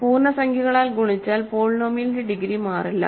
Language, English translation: Malayalam, So, multiplying by integers does not change the degree of the polynomial